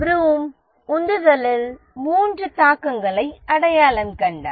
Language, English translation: Tamil, Vroom identified three influences on motivation